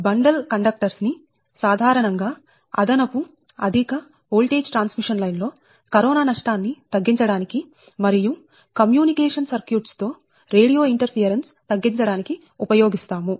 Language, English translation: Telugu, right and bundle conductors are commonly used in extra high voltage transmission line to reduce the corona loss and also reduce the radio interference with communication circuits, right